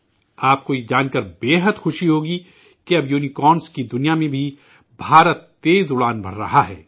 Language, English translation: Urdu, You will be very happy to know that now India is flying high even in the world of Unicorns